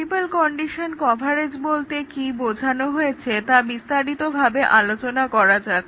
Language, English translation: Bengali, Now, let us see what is multiple condition decision coverage